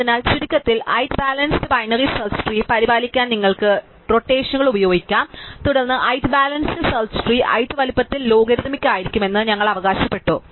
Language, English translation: Malayalam, So, to summarize you can use rotations to maintain height balanced binary search trees and then height balance search tree we have claimed that the height is going to be logarithmic in the size